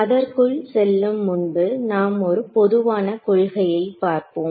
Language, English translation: Tamil, Now before I get into that one general principle we will derive